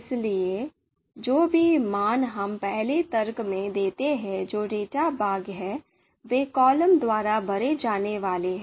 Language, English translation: Hindi, So whatever values that we gave in the first argument that is the data part, so they are going to be filled by columns